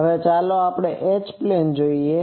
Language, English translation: Gujarati, Now, let us see the H plane